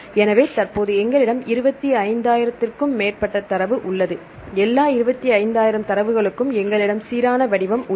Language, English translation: Tamil, So, currently we have more than 25,000 data, for all the 25,000 data we have the uniform format